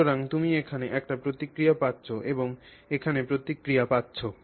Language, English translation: Bengali, So, you are getting a response here and you are getting a response here